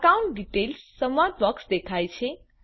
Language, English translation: Gujarati, The account details dialog box appears